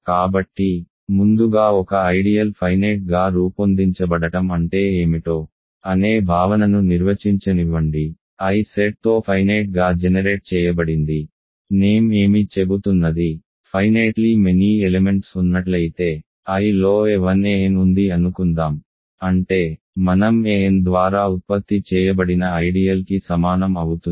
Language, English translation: Telugu, So, first let me define the notion of what it means for an ideal to be finitely generated; I is set to be finitely generated, if it is what the name is saying, if there exist finitely many elements, let us say a 1 a n in I such that I is equal to the ideal generated by an